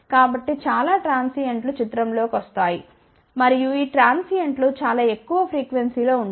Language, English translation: Telugu, So, a lot of transients will come into picture and these transients are at very high frequency